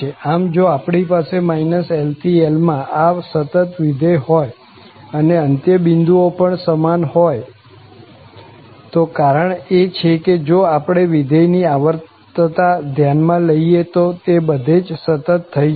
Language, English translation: Gujarati, So, if we have this continuous function from minus L to L and the end points also matches and the reason is that if we consider this periodicity of the function, then it becomes continuous everywhere